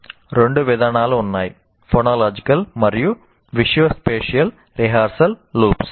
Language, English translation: Telugu, And there are two mechanisms, what you call phonological and visuospatial rehearsal loops